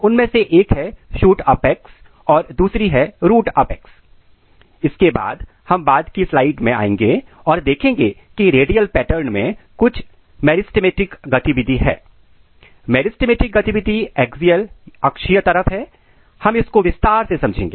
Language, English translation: Hindi, So, one is the shoot apex, root apex then we will come in the later slides and you will see, that there are some meristematic activity in the radial pattern, we have meristematic activity at the axial side, we will see in detail